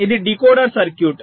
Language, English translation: Telugu, this is a decoder circuit